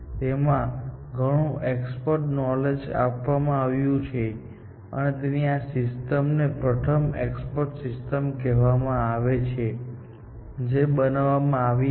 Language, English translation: Gujarati, It has got a lot of expert knowledge built into it, and that is why, this system is called the first expert system that was built, essentially